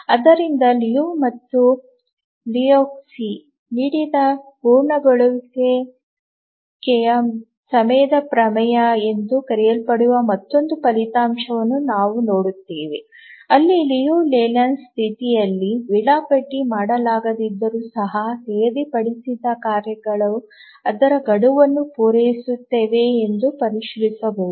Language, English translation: Kannada, So we'll look at another result called as the completion time theorem given by Liu and Lahotsky where we can check if the task set will actually meet its deadline even if it is not schedulable in the Liu Leyland condition